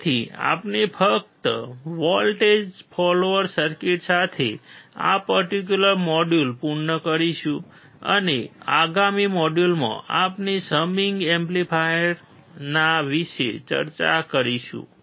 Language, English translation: Gujarati, So, we will just complete this particular module with the voltage follower circuit, and in the next module, we will discuss about summing amplifier